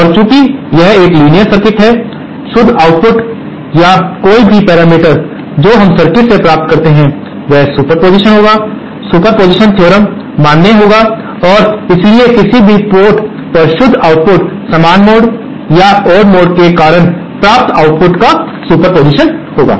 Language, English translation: Hindi, And since this is a linear circuit, the net output or any parameter that we obtained in this circuit will be the superposition superposition theorem will be valid and hence the net output at any port will be the superposition of the outputs obtained due to the even mode or the odd mode